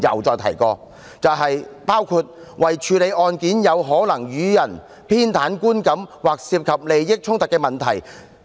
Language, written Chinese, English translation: Cantonese, 就是以免可能予人偏袒的觀感，或者有利益衝突的問題。, That is to avoid giving the public an impression that there is bias or a conflict of interest